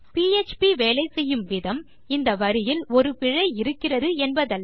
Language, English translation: Tamil, So php doesnt work on the basis that theres an error on this line